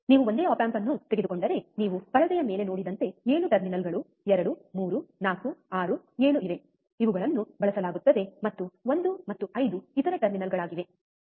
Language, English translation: Kannada, If you take a single of op amp, then as you seen see on the screen the there are 7 terminals 2, 3, 4, 6, 7 which are which are used and 1 and 5 are other terminals